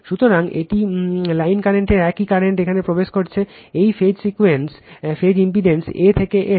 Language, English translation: Bengali, So, it is line current same current here is entering into this phase impedance A to N